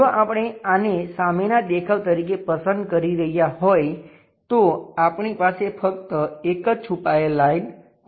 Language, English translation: Gujarati, If we are picking this one as the view front view there is only one hidden line we have